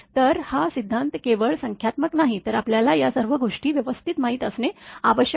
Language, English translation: Marathi, So, this is theory only not numericals, but you have to know all these things right